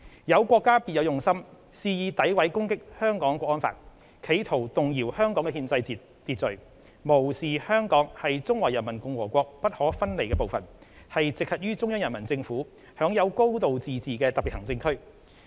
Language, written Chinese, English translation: Cantonese, 有國家別有用心，肆意詆毀攻擊《香港國安法》，企圖動搖香港的憲制秩序，無視香港是中華人民共和國不可分離的部分，是直轄於中央人民政府、享有"高度自治"的特別行政區。, Some countries with ulterior motives have launched malicious and defamatory attacks on the National Security Law in an attempt to undermine the constitutional order of Hong Kong ignoring the fact that Hong Kong is an inalienable part of the Peoples Republic of China with a high degree of autonomy and is directly accountable to the Central Peoples Government as a Special Administrative Region